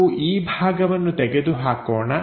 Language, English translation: Kannada, So, let us remove this portion